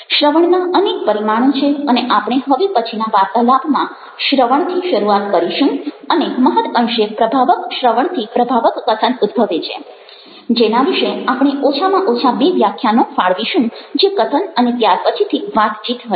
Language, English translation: Gujarati, listening has a number of dimensions and will start up with listening in the next talk that we have, and very often, effective listening will give raise to effective speaking, ah, on which we shall be devoting at least two lectures ah, which will deal with speaking and then later on, with conversation